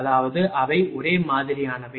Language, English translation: Tamil, That is, they are identical same thing